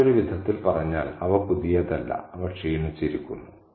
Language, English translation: Malayalam, In other words, they are not pristine and they are worn out